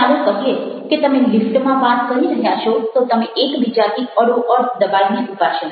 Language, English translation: Gujarati, let's see, you are talking in a lift, you kind of squeezed together